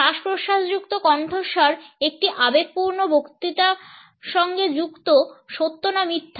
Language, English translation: Bengali, A breathy voice is associated with passionate speech true or false